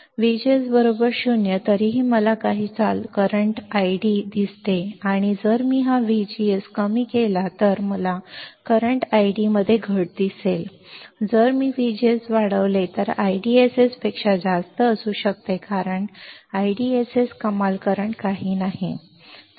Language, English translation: Marathi, So, V G S equals to 0 still I see some current I D and if I decrease this V G S then, I will see a decrease in the current I D, but if I increase the V G S then it can be more than I DSS because I DSS is not the maximum current